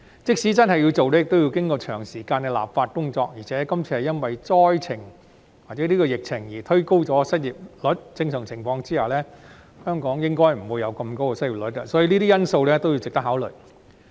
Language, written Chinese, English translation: Cantonese, 即使真的要推行，亦要經過長時間的立法工作，而且今次是因為疫情而推高失業率，在正常情況下，香港的失業率應該不會這麼高，所以這些因素均值得考慮。, Even if we are really going to implement it we still have to go through a lengthy legislative process . Moreover the unemployment rate has been pushed up this time due to the epidemic . The unemployment rate in Hong Kong should not be so high under normal circumstances